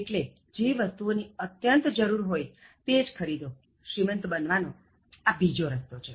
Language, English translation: Gujarati, So, buy things that are absolutely necessary, that is another way to become rich